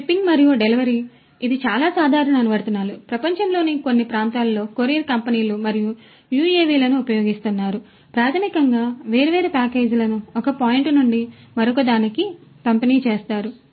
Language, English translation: Telugu, Shipping and delivery this is quite common lot of different applications, you know courier companies in certain parts of the world, they are using the UAVs to basically deliver different packages from one point to another